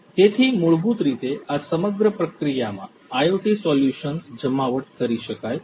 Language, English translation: Gujarati, So, all of these basically in this entire process, IoT solutions could be deployed